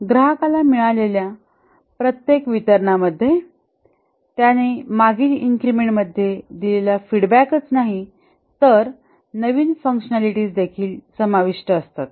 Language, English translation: Marathi, Each deliverable to the customer would not only have incorporated the feedback that he had given in the previous increment, but also added new functionalities